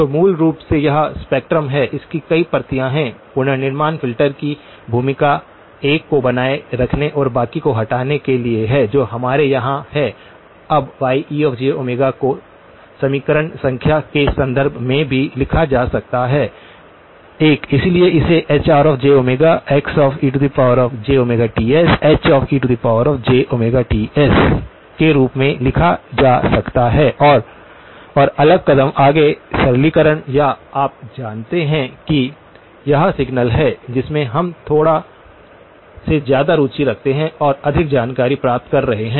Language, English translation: Hindi, So, basically that is spectrum, it has multiple copies, the role of the reconstruction filter is to retain one and remove the rest that is what we have here, now Y e of j omega can also be written in terms of the equation number 1, so this can be written as Hr of j omega X e of j omega Ts, H e of j omega Ts and next step further simplification or you know getting it little bit more insight into the signal that we are interested in